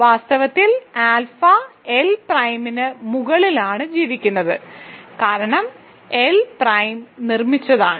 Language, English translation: Malayalam, In fact, lives over alpha L prime right, because L prime was constructed